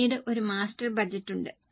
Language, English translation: Malayalam, Then there is a master budget